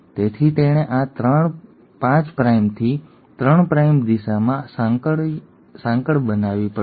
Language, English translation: Gujarati, So it has to make a chain in this 5 prime to 3 prime direction